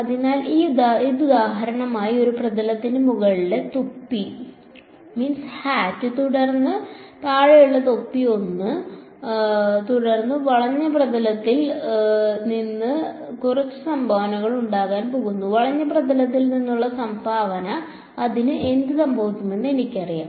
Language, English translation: Malayalam, So, it so this for example, this is one surface the top cap then the bottom cap 1 right and then there is going to be some contribution from the curved surface and I know that contribution from the curved surface what will happen to it